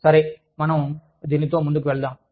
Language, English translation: Telugu, So, let us move on, with it